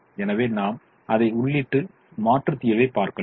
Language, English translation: Tamil, so we can enter that and look at the alternate solution